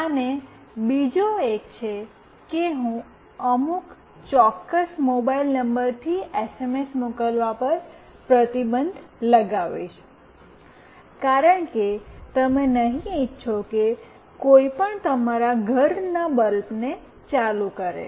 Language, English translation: Gujarati, And the other one is I will restrict sending SMS from some particular mobile number, because you will not want anyone to switch on of your home bulb